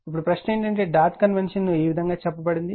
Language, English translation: Telugu, Now, question is that suppose dot convention is stated as follows